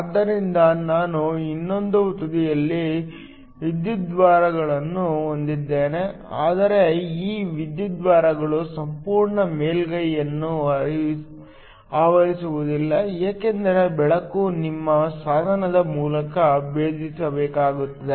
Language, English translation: Kannada, So, I also have electrodes on the other end, but these electrodes do not cover the entire surface because the light has to penetrate through your device